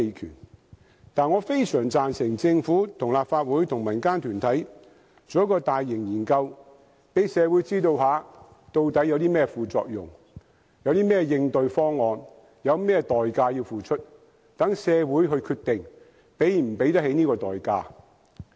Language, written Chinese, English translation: Cantonese, 然而，我非常贊成政府、立法會與民間團體進行一項大型研究，讓社會知道究竟有甚麼副作用、有甚麼應對方案，以及要付出甚麼代價，讓社會決定能否承擔這些代價。, Nonetheless I am all for the idea that a major study be conducted jointly by the Government the Legislative Council and the civil communities so that society can know more about its side effects as well as the countermeasures or the price to be paid and so on before it makes an informed decision as to whether we can bear the consequences